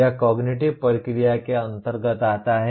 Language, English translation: Hindi, It belongs to the cognitive process Apply